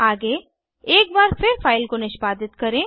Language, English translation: Hindi, Next execute the file one more time